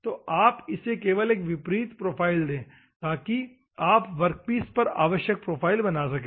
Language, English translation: Hindi, So, you just give a converse profile, so that you can generate the required profile on the workpiece